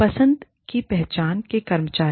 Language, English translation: Hindi, Employee of choice, recognition